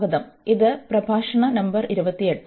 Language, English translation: Malayalam, So, welcome back, this is lecture number 28